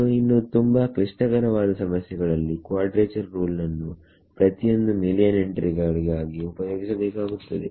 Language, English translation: Kannada, So, in more complicated problems you may have to use a quadrature rule for each of these million entries right